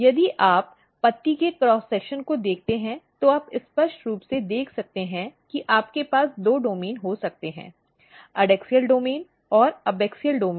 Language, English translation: Hindi, If you look the cross section of the leaf, so you can clear see that you can have a two domain; the adaxial domain and the abaxial domain